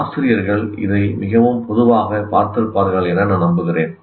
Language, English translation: Tamil, I'm sure that teachers find it very common